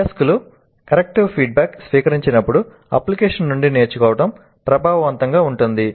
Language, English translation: Telugu, Learning from an application is effective when learners receive corrective feedback